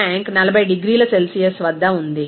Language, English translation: Telugu, The tank is at 40 degrees Celsius it is there